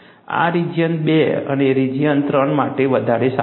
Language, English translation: Gujarati, This accounts for region two and region three better